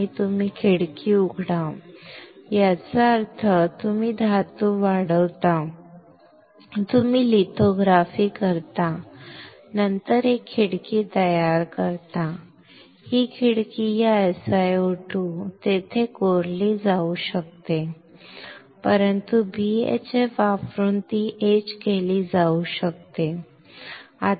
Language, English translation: Marathi, And you open the window; that means, you grow the metal, you do the lithography, then create a window, this window this SiO2 there can be etched, right, but as it can be etched by using BHF